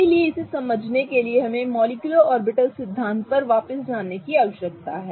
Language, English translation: Hindi, So, in order to understand this, we need to go back to the molecular orbital theory